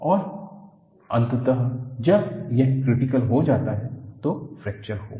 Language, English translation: Hindi, And eventually, when it becomes critical, fracture will occur